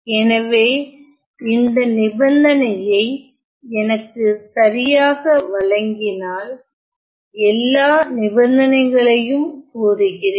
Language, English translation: Tamil, And so, let me state all the conditions if I am given this condition right